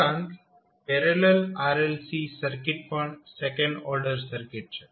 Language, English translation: Gujarati, Also, the parallel RLC circuit is also the second order circuit